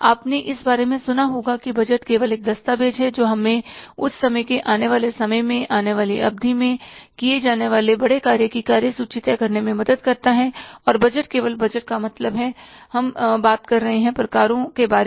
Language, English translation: Hindi, You must have heard about that budget is simply a document which helps us to pre decide the agenda of that, means things to be done in the time to come, in the period to come, and budget is only just budget, what means why we are talking about the types